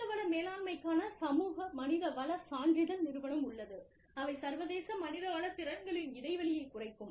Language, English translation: Tamil, There is a global HR certification organization, the society for human resource management, narrowing international HR competency gap